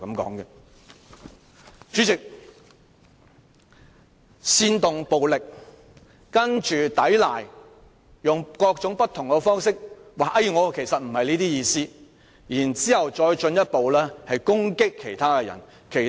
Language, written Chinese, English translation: Cantonese, 代理主席，他煽動暴力，接着抵賴，並用各種方法辯解，指自己不是這意思，然後進一步攻擊他人。, Deputy President after inciting violence he gave a blatant denial and tried to defend himself by putting forth various excuses saying that this was not what he meant . Afterwards he went on to attack others